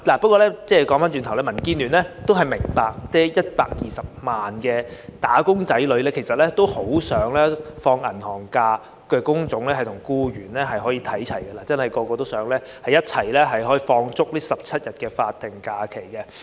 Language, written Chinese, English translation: Cantonese, 不過，話說回來，民建聯明白120萬名"打工仔女"很想與享有"銀行假"的工種或僱員看齊，人人都想享有足17天的法定假日。, Nevertheless back to our discussion DAB understands that the 1.2 million wage earners want so much to be on a par with those work types or employees who are entitled to bank holidays . Everyone wants to enjoy 17 days of SHs